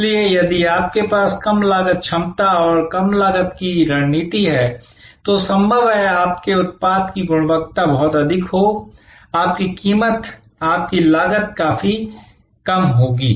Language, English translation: Hindi, So, if you have a low cost capability and low cost strategy, it is possible that why your product quality will be pretty high, your price your cost will be quite low